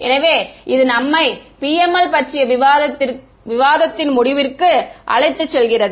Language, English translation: Tamil, So, that brings us to an end of the discussion on PML